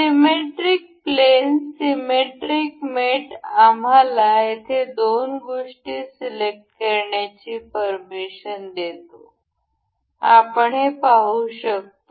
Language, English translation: Marathi, Symmetric plane allows a symmetric mate allows us to select two things over here, we can see